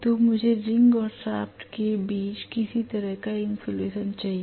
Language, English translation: Hindi, So I need to have some kind of insulation between the ring and the shaft itself